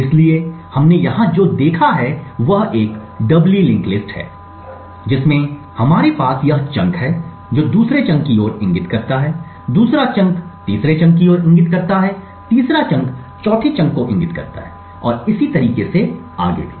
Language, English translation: Hindi, So what we have seen over here is a doubly linked list we have this chunk which is pointing to the second chunk, the second chunk points to the third chunk, third chunk points the four chunk and the other way also